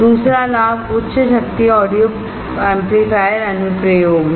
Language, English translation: Hindi, Second advantage is high power audio amplifier application